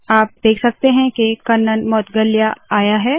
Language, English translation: Hindi, You can see that Kannan Moudgalya has come